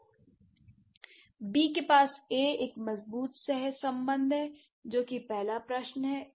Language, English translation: Hindi, So, B must have something which has a strong correlation with A, right